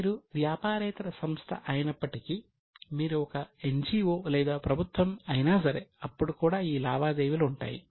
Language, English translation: Telugu, Even if you are a non business entity, let us say you are an NGO or you are a government, then also these transactions are there